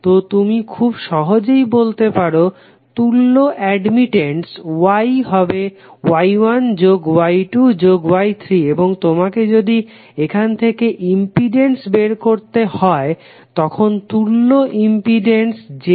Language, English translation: Bengali, So you can easily say that the equivalent admittance Y is equal to Y1 plus Y2 plus Y3 and if you have to find out the impedance then the equivalent impedance Z would be 1 by Y